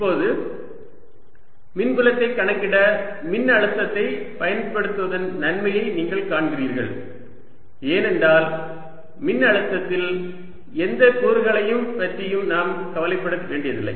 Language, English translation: Tamil, and now you see the advantage of using potential to calculate electric field later, because in the potential i don't have to worry about any components